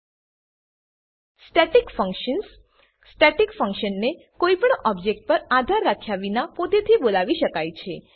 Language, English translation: Gujarati, Static functions A static function may be called by itself without depending on any object